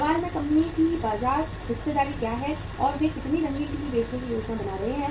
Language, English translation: Hindi, What is the market share of the company in question and how much colour TVs they are planning to sell